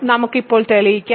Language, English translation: Malayalam, So, let us prove now